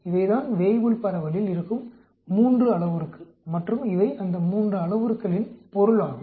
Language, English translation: Tamil, These are the 3 parameters in Weibull distribution and these are the meaning of these 3 parameters